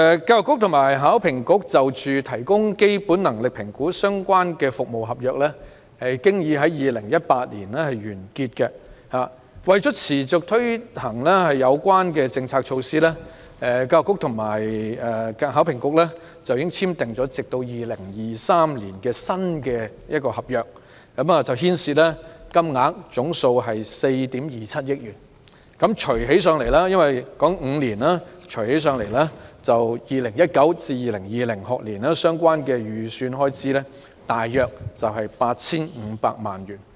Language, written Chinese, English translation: Cantonese, 教育局與考評局就提供基本能力評估相關服務訂立的合約已於2018年屆滿，為持續推行有關的政策措施，教育局再與考評局簽訂新合約，為期5年，將於2023年屆滿，涉及金額總數為4億 2,700 萬元，若除之以 5， 則 2019-2020 學年的相關預算開支約為 8,500 萬元。, In order to take forward the relevant policy initiative the Education Bureau has signed a new contract with HKEAA . Covering a period of five years this contract will expire in 2023 and involves a total sum of 427 million . Dividing this sum by five we will find that the relevant estimated expenditure for the 2019 - 2020 school year approximates 85 million